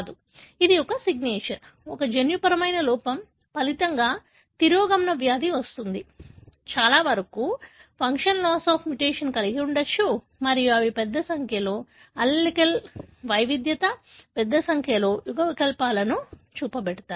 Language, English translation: Telugu, So, this is a signature, a gene defect there in results in a recessive disease, most likelyshould have a loss of function mutation and they show large number of allelic heterogeneity, large number of alleles